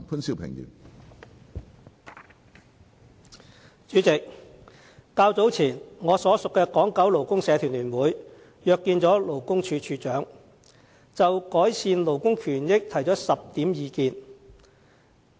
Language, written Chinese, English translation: Cantonese, 主席，較早前，我所屬的港九勞工社團聯會約見勞工處處長，就改善勞工權益提出了10點意見。, President the Federation of Hong Kong and Kowloon Labour Unions to which I belong has earlier made 10 recommendations on labour rights and interests at a meeting with the Commissioner for Labour